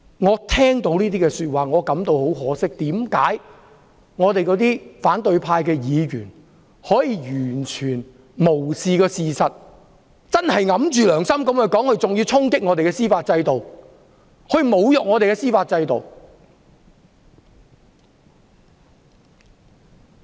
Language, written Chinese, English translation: Cantonese, 我聽到這說法後感到很可惜，為何反對派議員可以完全無視事實，昧着良心說話，還要衝擊我們的司法制度，侮辱我們的司法制度？, I am dismayed by such sayings . How can opposition Members ignore the facts speak against their conscience attack our judicial system and humiliate our judicial system?